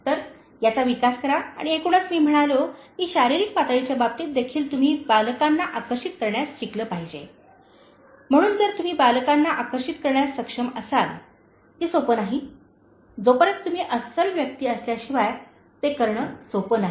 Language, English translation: Marathi, So, develop that and overall, I said that in terms of the physical level you should also learn to attract the children, so if you are able to attract the children, which is not that easy unless you are a genuine person you will not be able to do that